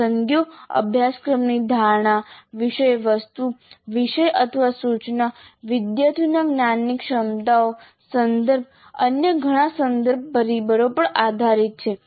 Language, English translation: Gujarati, The choices are based on our perception of the course, the content, the subject, our instruction, cognitive abilities of the students, context and many other contextual factors